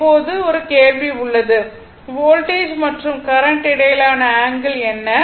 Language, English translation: Tamil, Now, question is there what is the angle between the voltage and current